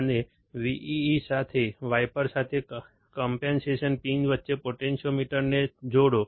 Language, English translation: Gujarati, And connect the potentiometer between the compensation pins with wiper to VEE